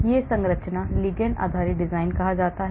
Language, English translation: Hindi, so this is called the ligand based design